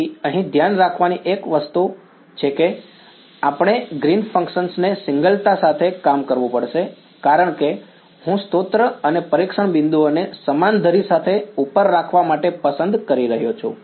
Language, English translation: Gujarati, So, the only thing to be careful about here is that, we will have to work out the Green's function with the singularity because I am choosing the source and testing points to be up along the same axis